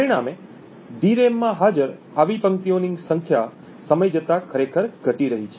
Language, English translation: Gujarati, As a result, the number of such rows present in a DRAM was actually reducing over a period of time